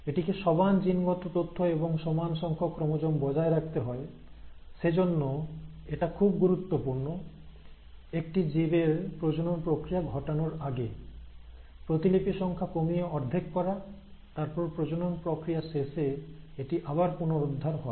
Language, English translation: Bengali, So it has to maintain the same genetic information, the same number of chromosomes and for that, it is important that before an organism undergoes a process of sexual reproduction, its copy numbers are reduced to half, and then, after the process of sexual reproduction, it is restored back